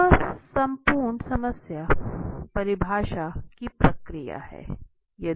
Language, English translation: Hindi, Now this is entire problem definition process